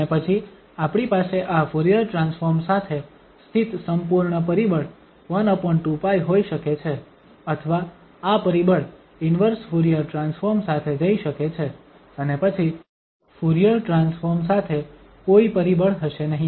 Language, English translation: Gujarati, And then we can have the complete factor 1 over 2 pi sitting with this Fourier transform or this factor may go with the inverse Fourier transform and then there will be no factor with the Fourier transform